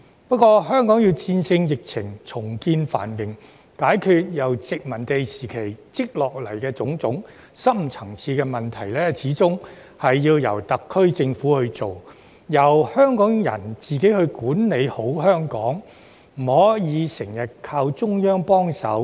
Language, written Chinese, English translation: Cantonese, 不過，香港要戰勝疫情、重見繁榮，解決由殖民時期累積下來的種種深層次問題，始終要由特區政府去做，並由香港人自己管理好香港，不可以經常依靠中央幫忙。, However in order to beat the epidemic regain our prosperity and resolve the various deep - seated problems accumulated since the colonial era we still need the SAR Government to take the lead and Hong Kong should be governed by Hong Kong people without always relying on the assistance from the Central Government